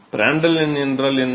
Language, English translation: Tamil, What is Prandtl number